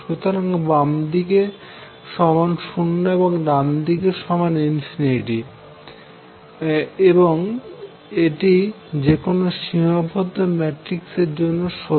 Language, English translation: Bengali, So, left hand side is 0, right hand side is infinity and that is true for any finite matrix